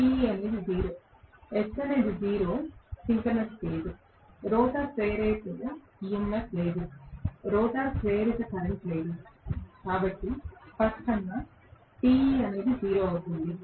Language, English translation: Telugu, S is 0 synchronous speed, there is no rotor induced EMF, there is no rotor induced current, so obviously Te will be 0 right